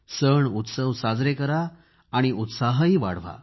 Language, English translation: Marathi, Celebrate festivities, enjoy with enthusiasm